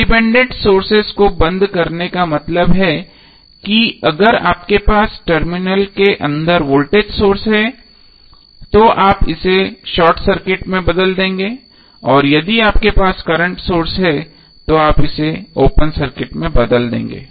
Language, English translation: Hindi, Turning off the independent sources means if you have the voltage source inside the terminal you will replace it with the short circuit and if you have current source you will replace it with the open circuit